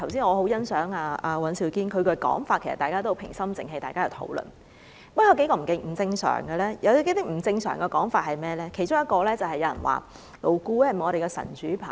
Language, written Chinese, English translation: Cantonese, 我很欣賞剛才尹兆堅議員的發言，大家是平心靜氣地討論問題，然而，討論過程中亦有一些不正常的說法，其中一個是問勞顧會是否我們的神主牌。, Well I highly appreciate the speech made by Mr Andrew WAN just now as it is a calm and rational discussion of the matter . However during our debate there are still some abnormal remarks . One example is a remark questioning whether LAB is our ancestral tablet